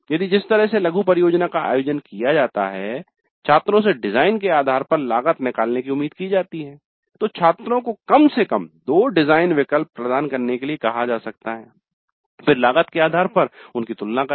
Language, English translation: Hindi, If the way the mini project is organized, students are expected to work out the cost based on the design, then the students may be asked to provide at least two design alternatives, then compare them based on the cost